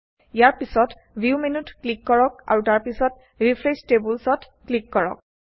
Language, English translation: Assamese, Next click on the View menu and then on Refresh Tables